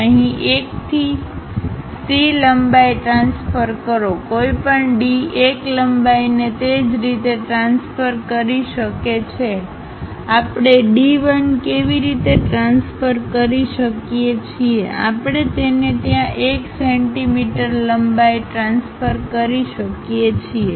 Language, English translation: Gujarati, Transfer 1 to C length here; one can transfer D 1 length also in the same way, the way how we transfer D 1 we can transfer it there all 1 C length we can transfer it